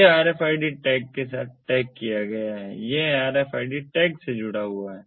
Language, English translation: Hindi, it is tagged with this rfid tag